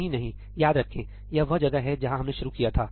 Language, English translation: Hindi, No, no, remember, this is where we started